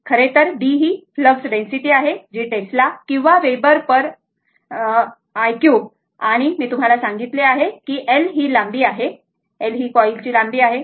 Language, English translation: Marathi, So, B actually flux density that is in Tesla or Weber per metre square and l, I told you this is the length of the your l is the your, this is the length of the coil, right